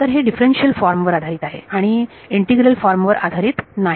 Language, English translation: Marathi, So, it is based on differential form, not integral form